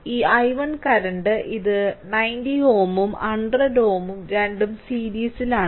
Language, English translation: Malayalam, So, this i 1 current this is 90 ohm and 10 ohm both are in series